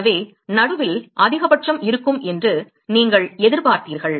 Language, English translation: Tamil, So, you expected to have a maxima at the middle